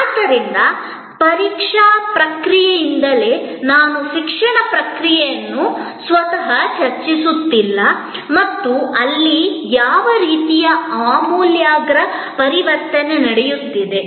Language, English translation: Kannada, So, right from the examination process, I am even not discussing the education process itself and what kind of radical transformation is taking place there